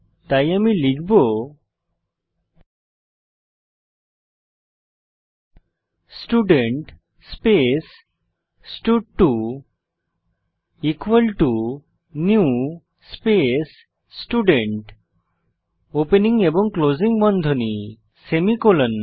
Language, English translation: Bengali, So, I will type Student space stud2 equal to new space Student opening and closing brackets semi colon